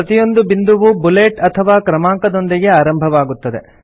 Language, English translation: Kannada, Each point starts with a bullet or a number